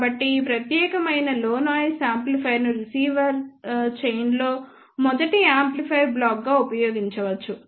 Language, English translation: Telugu, So, this particular low noise amplifier can be used as the first amplifier block in the receiver chain